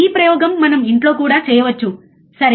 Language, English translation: Telugu, This experiment we can do even at home, alright